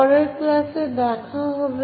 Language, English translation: Bengali, See you in the next class